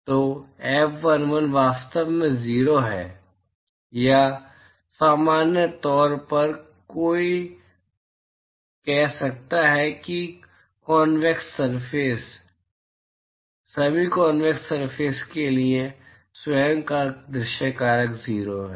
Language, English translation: Hindi, So, F11 is actually 0 or in general one could say that convex surfaces, for all convex surfaces, for all convex surfaces the view factor of itself is 0